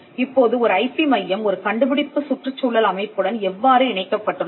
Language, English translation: Tamil, Now, how is an IP centre connected to an innovation ecosystem